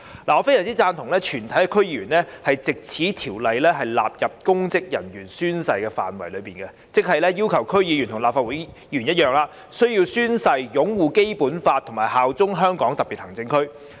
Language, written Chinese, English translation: Cantonese, 我非常贊同藉這項《條例草案》，把全體區議員納入公職人員宣誓的範圍內，即要求區議員與立法會議員一樣，須宣誓擁護《基本法》、效忠香港特別行政區。, I strongly agree with the introduction of this Bill to bring all DC members under the scope of the oath - taking requirement for public officers that is requiring DC members to like Legislative Council Members swear to uphold the Basic Law and swear allegiance to the Hong Kong Special Administrative Region HKSAR